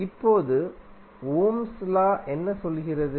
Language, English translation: Tamil, Now, what Ohm’s law says